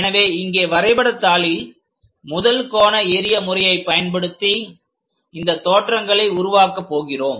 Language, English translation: Tamil, So, here on the drawing sheet, using first angle projection system we are going to construct this views